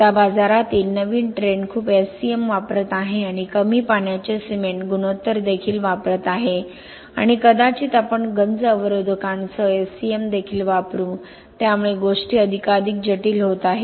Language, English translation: Marathi, Now the new trend in the market is using a lot of SCMís okay and also low water cement ratio, SCMís low water cement ratio and maybe we will also use SCM with corrosion inhibitors, so things are becoming more and more complex